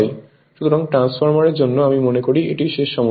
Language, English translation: Bengali, So, your the this is the last problem I think for the transformer